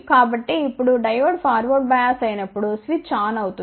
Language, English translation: Telugu, So, now when the Diode is forward bias so, then switch would be on